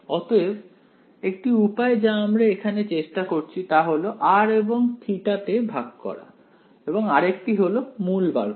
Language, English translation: Bengali, So, one root was what we were trying over here, splitting it into r n theta, another root is this root